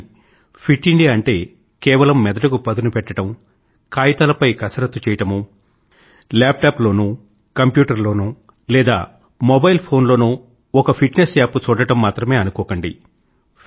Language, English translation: Telugu, But don't forget that Fit India doesn't mean just exercising the mind or making fitness plans on paper or merely looking at fitness apps on the laptop or computer or on a mobile phone